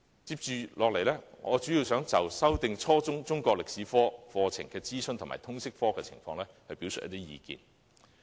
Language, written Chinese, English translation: Cantonese, 接下來，我主要想就修訂初中中國歷史科課程的諮詢及通識科的情況，表達意見。, Next I would like to express my views mainly on consultation on revising the curriculum of the junior secondary Chinese History subject as well as Liberal Studies